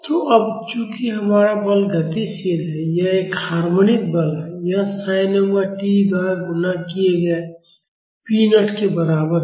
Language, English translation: Hindi, So, now since our force is dynamic, it is a harmonic force it is equal to p naught multiplied by sin omega t